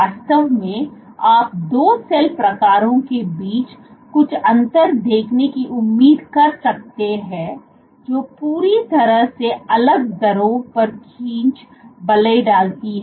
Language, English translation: Hindi, What would do you expect to see some differences between 2 cell types, which exert pulling forces at completely different rates